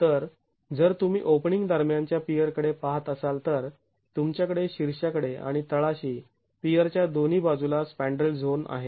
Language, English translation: Marathi, So if you look at a pier between openings, you have the spandrel zone at the top and the bottom on either sides of the pier